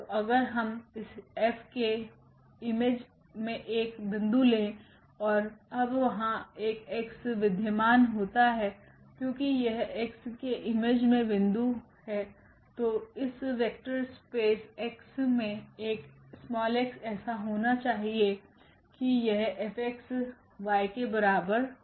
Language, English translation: Hindi, So, if we take a point in the image F now and there exists a X because this is a point in the image, so, there must exists a X in this vector space X such that this F x is equal to y